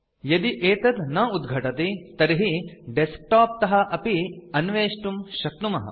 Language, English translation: Sanskrit, If it doesnt open, you can access it from the desktop